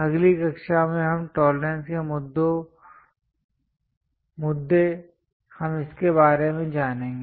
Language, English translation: Hindi, These tolerance issues in the next class we will learn about it